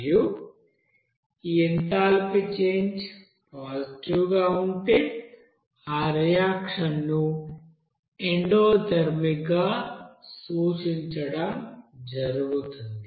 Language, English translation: Telugu, And if this enthalpy change is positive, that will you know refer to that reaction will be endothermic